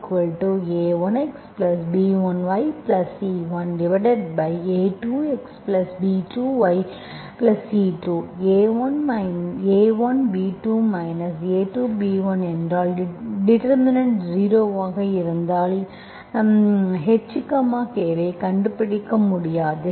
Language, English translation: Tamil, If A1 B2 minus A2 B1, this is the determinant, if this determinant is zero, I will not be able to find my H, K